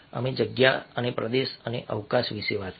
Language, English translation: Gujarati, we talked about space and territory and space